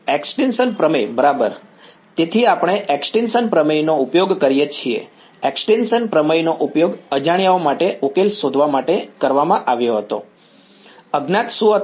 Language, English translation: Gujarati, Extinction theorem right; so, we use the extinction theorem; extinction theorem was used to solve for the unknowns right, what were the unknowns